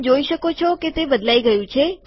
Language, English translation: Gujarati, You can see that it has changed